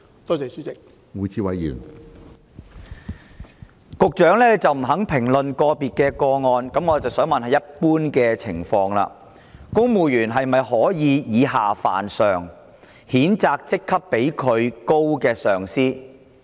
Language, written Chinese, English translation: Cantonese, 既然局長不肯評論個別個案，在一般情況下，公務員是否可以以下犯上，譴責職級較自己為高的上司？, The Secretary refused to comment on individual cases . In general are civil servants allowed to offend and condemn their superiors?